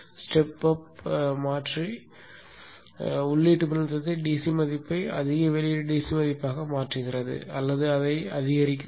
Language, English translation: Tamil, Step up converter converts the input voltage into a higher outure up converter converts the input voltage into a higher output DC value or boosting it